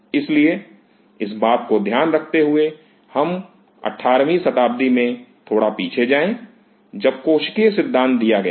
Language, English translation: Hindi, So, keeping this mind, let us go little back to 18th century, when the cellular theory was which was given